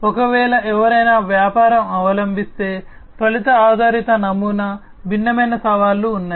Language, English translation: Telugu, So, you know if somebody if a business is adopting, the outcome based model, there are different challenges